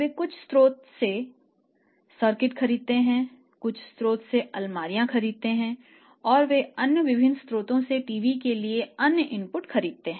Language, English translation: Hindi, That buy circuit from some source they are buying cabinets from some source and they are buying say other inputs to the TV from other so different sources